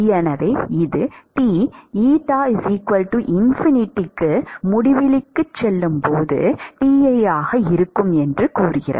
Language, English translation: Tamil, So, this says T at as eta goes to infinity will be Ti